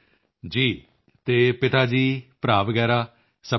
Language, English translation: Punjabi, Yes, and are father, brother and others all fine